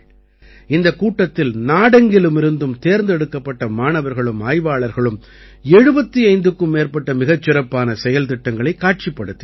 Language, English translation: Tamil, In this fair, students and researchers who came from all over the country, displayed more than 75 best projects